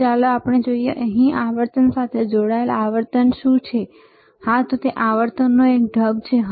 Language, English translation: Gujarati, So, let us see, what is the frequency here connected to frequency, yes; it is a mode of frequency